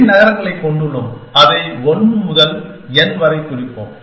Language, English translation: Tamil, So, there is n cities, 1 to n